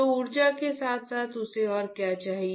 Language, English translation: Hindi, So, along with energy what else it requires